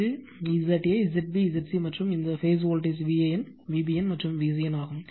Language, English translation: Tamil, And this is Z a, Z b, Z c, and this phase voltage V AN, V BN and V CN